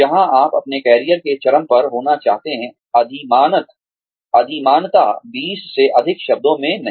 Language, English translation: Hindi, Where you would like to be, at the peak of your career, preferably in not more than 20 words